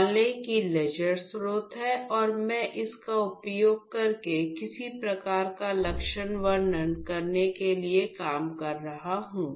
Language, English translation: Hindi, So, assume there is laser source and I would be working using that to do some sort of characterization